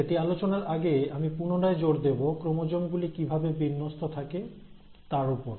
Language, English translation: Bengali, But before I get there, I again want to re emphasize the arrangement of chromosomes